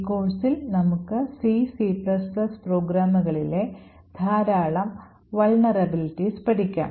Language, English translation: Malayalam, During this course we will be studying a lot of vulnerabilities in C and C++ programs